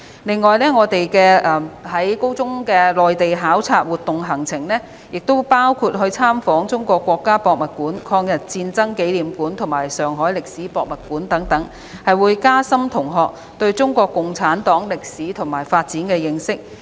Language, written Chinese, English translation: Cantonese, 此外，高中的內地考察活動行程，亦包括參訪中國國家博物館、中國人民抗日戰爭紀念館及上海市歷史博物館，以加深同學對中國共產黨歷史和發展的認識。, Moreover the itinerary of the Mainland study tours of senior secondary students may include visiting the National Museum of China the Museum of the War of the Chinese Peoples Resistance Against Japanese Aggression and the Shanghai History Museum so as to enhance their understanding of the history and development of CPC